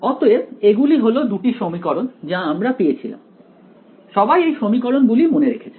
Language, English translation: Bengali, So, these were the two equations that we had got right, everyone remembers these equations